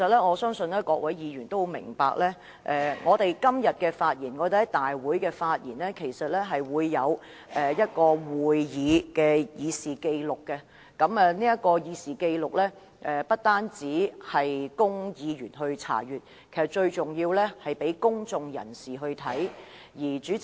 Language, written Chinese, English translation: Cantonese, 我相信各位議員都知道，我們今天在立法會會議的發言，都會載入立法會會議過程正式紀錄。這份紀錄不單供議員查閱，更重要的是讓公眾人士參閱。, I believe all Members know that the speeches delivered by us at todays Council meeting will be recorded in the Official Record of Proceedings of the Legislative Council which is not only available for inspection by Members but more importantly also available for access by the public